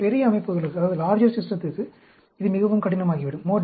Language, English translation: Tamil, But, for larger systems, it becomes more difficult